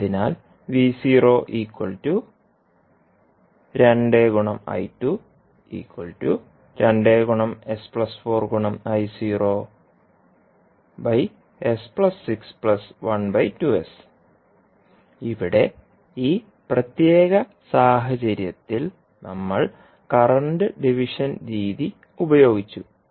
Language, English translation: Malayalam, So, here in this particular case we used current division method